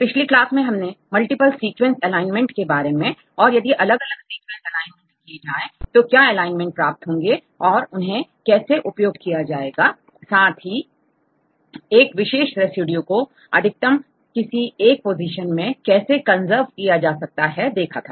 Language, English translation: Hindi, In the previous class we discussed about the multiple sequence alignment and if you align different sequences we will get an alignment and how to utilize this alignment to extract different features, how far we see that a particular residue highly conserved right in any positions